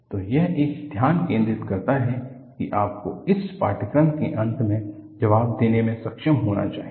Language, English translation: Hindi, So, this puts a focus, what you should be able to answer at the end of this course